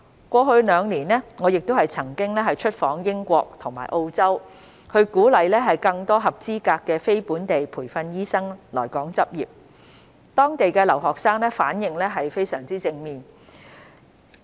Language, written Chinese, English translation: Cantonese, 過去兩年，我亦曾出訪英國及澳洲，鼓勵更多合資格的非本地培訓醫生來港執業，當地的留學生反應非常正面。, In the past two years I have also visited the United Kingdom and Australia to encourage more qualified non - locally trained doctors to practise in Hong Kong and students from Hong Kong responded very positively